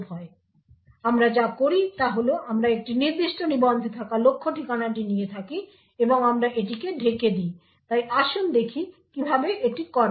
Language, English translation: Bengali, So what we do is we take the target address which is present in a particular register and we mask it, so let us see how this is done